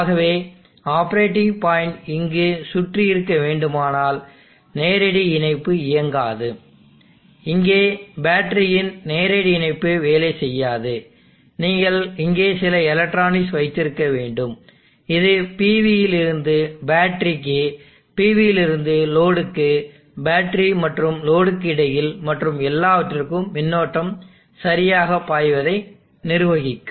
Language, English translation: Tamil, So if the operating point has to hold around here direct connection will not work, direct connection of the battery here will not work, you need to have some electronics here, which will properly manage the power flow from the PV to the battery, from the DV to the load between the battery and the load and all those things